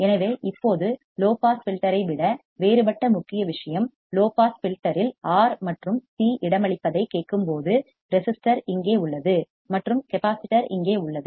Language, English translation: Tamil, So, now, when we hear the main thing which is different than the low pass filter is the placement of the R and C in the low pass filter, the resistor is here and the capacitor is here